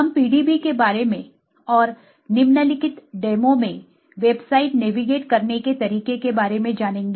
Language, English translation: Hindi, We will learn about the PDB and how to navigate the website in the following demo